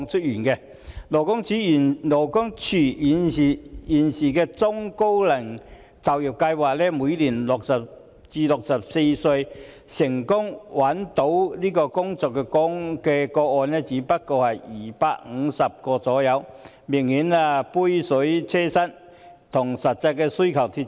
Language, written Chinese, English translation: Cantonese, 現時勞工處的中高齡就業計劃為60歲至64歲人士成功就業的個案每年只有250宗左右，明顯是杯水車薪，與實際需求脫節。, At present under the Employment Programme for the Elderly and Middle - aged EPEM of the Labour Department LD there are only 250 successful placements every year for job seekers aged between 60 and 64 . The service is far from adequate and not in keeping with the needs in reality